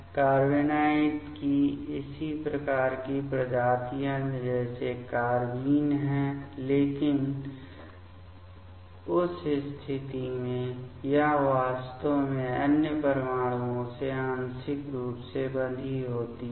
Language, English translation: Hindi, Carbenoid also similar type of species like carbenes, but in that case it is actually partially bound to other atoms ok